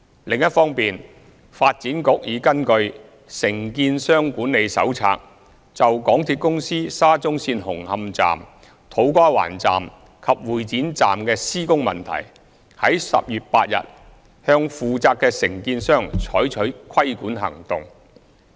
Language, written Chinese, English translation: Cantonese, 另一方面，發展局已根據《承建商管理手冊》，就港鐵公司沙中線紅磡站、土瓜灣站及會展站的施工問題，於10月8日向負責的承建商採取規管行動。, Meanwhile the Development Bureau has taken regulatory actions in accordance with the Contractor Management Handbook against contractors concerned for construction issues associated with Hung Hom Station To Kwa Wan Station and Exhibition Centre Station under the SCL Project implemented by MTRCL